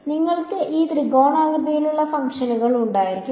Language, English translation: Malayalam, So, you can have these triangular basis functions